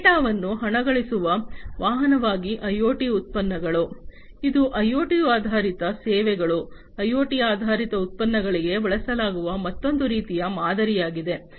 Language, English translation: Kannada, IoT products as a vehicle to monetize data; this is another type of model that is used for IoT based services IoT based products